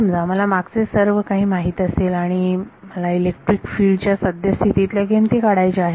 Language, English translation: Marathi, Supposing I know everything in the past and I want to evaluate the current value of electric field